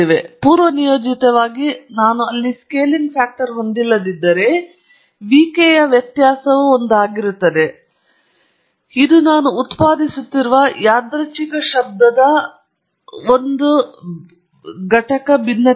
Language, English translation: Kannada, By default, if I don’t have the scaling factor there, the variance of vk would be one; it’s a unit variance random noise that I have been generating